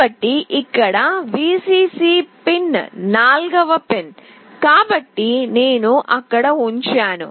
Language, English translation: Telugu, So, the Vcc pin here is the fourth pin, so I put it there